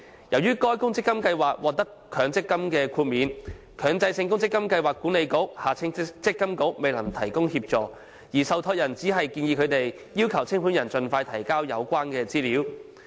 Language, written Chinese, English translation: Cantonese, 由於該公積金計劃獲強積金豁免，強制性公積金計劃管理局未能提供協助，而受託人只建議他們要求清盤人盡快提交有關資料。, As the ORSO scheme has been granted Mandatory Provident Fund MPF exemption the Mandatory Provident Fund Schemes Authority MPFA is unable to provide assistance and the trustee has only advised them to request the liquidator to furnish the relevant information expeditiously